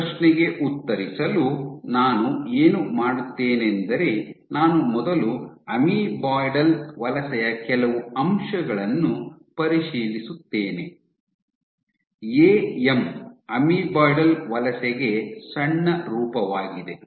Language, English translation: Kannada, So, to answer that question what I will do is I will first review some aspects of amoeboidal migration, “AM” is shortfall for amoeboidal migration